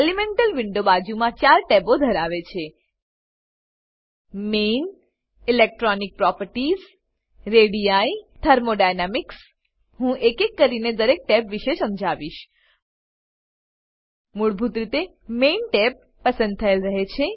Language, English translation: Gujarati, Elemental Window contains four side tabs * Main, * Electronic Properties, * Radii * Thermodynamics I will explain about each tab one by one By default Main tab is selected